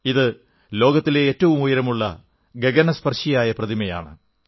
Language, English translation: Malayalam, This is the world's tallest scyscraping statue